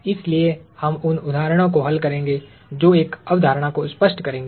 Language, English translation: Hindi, So, we will solve examples that would illustrate a concept